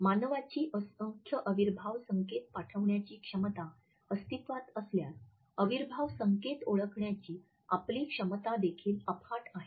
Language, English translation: Marathi, If the capacity of human beings to send in numerous kinesic signals exists then our capacity to recognize kinesic signals is also potentially immense